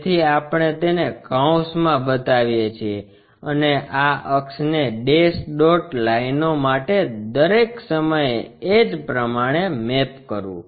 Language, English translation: Gujarati, So, we show it in parenthesis and this axis one all the time map to dash dot lines